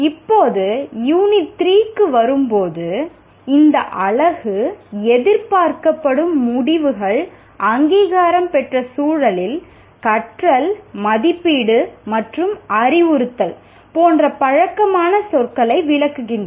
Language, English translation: Tamil, And now coming to Unit 3, the expected outcomes of this unit are explain the familiar words learning, assessment and instruction in the context of accreditation